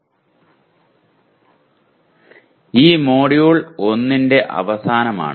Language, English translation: Malayalam, This is the end of the Module 1